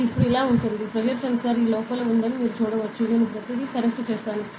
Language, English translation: Telugu, So, it is like this now, you can see that pressure sensor is within this and I have connected everything